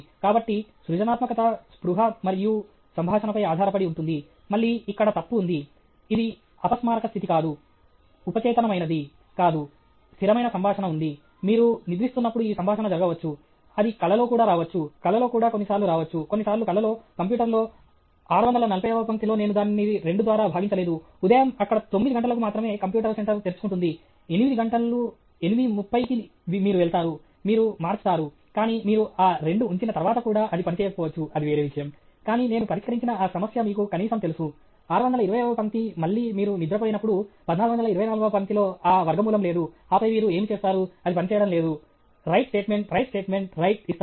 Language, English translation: Telugu, So, the creativity depends on the communication between conscious, again there is a typo, it’s not unconscious, subconscious; there is a constant dialogue; this dialogue may take place when you are sleeping, in dream also it may come, in the dream also sometimes it may come, sometimes the dream also the computer go to line 640 I didn’t divid it by 2; morning when we are there, at nine ‘o’ clock only the computer center will open; eight ‘o’ clock, eight thirty you will go, you will change, but you put that 2 also it may not work, that’s a different matter, but atleast you know that problem that I solved; line 620 problem, again you sleep, line 1424 that square root is not there okay, and then what do you it’s not working, write statement, write statement, write